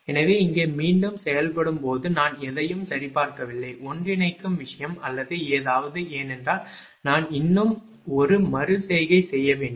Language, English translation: Tamil, So, here a during the iterative process, I didn't check any convergence thing or anything, because there I have to one more iteration